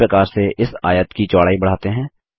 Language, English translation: Hindi, In a similar manner lets increase the width of this rectangle